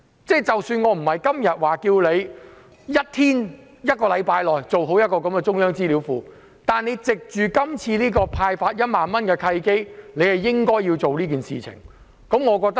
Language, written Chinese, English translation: Cantonese, 我不是要求政府在1天或1星期內設立中央資料庫，但政府應該藉着今次派發1萬元的契機做這件事。, I am not asking the Government to establish the database within one day or one week . But the Government should take the opportunity of distributing the 10,000 cash handout to do so